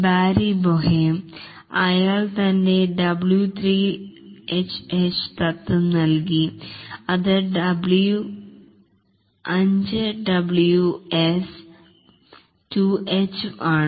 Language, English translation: Malayalam, Barry Bohem he gave his W5 H principle which is 5 W's and 2H